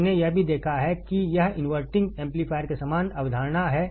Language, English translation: Hindi, We have also seen that this is exactly the similar concept in the inverting amplifier